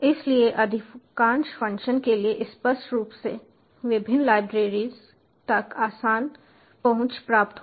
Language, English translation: Hindi, so for most of the functions will obviously get easy access to various libraries